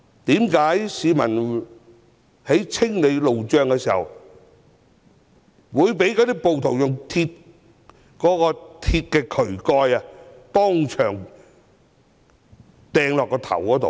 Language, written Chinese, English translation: Cantonese, 為何市民清理路障時會被暴徒用鐵渠蓋擲向頭部？, Why did rioters hit the man clearing roadblocks in the head by a metal drain cover?